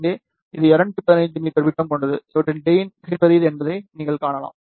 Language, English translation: Tamil, This one here has a diameter of 215 meter, and you can see that their gain is very very large